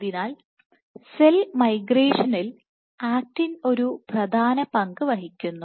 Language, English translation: Malayalam, So, actin plays a key role in cell migration